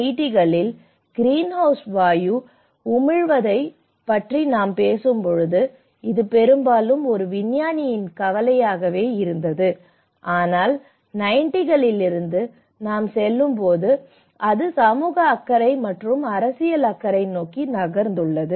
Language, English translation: Tamil, When we talk about the greenhouse gas emissions in the 1980’s, it was mostly as a scientist concerns, but as we moved on from 90’s, it has also moved towards the social; the social concern as well and the political concern